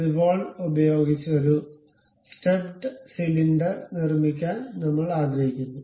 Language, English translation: Malayalam, We would like to construct a step cylinder using revolve